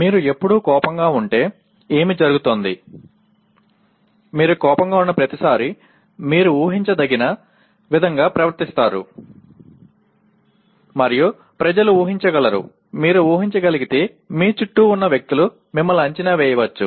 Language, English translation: Telugu, What happens if you all the time, every time you become angry you behave in the same way you become predictable and people can, people around you can exploit you if you are predictable